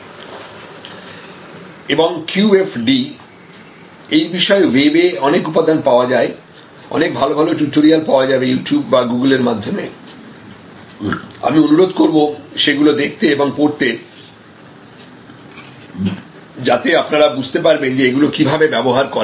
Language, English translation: Bengali, And QFD, the lots of material are available on the web, excellent tutorials are available and the web, either at You Tube or through Google and I will request you to go through them and see, how you will actually apply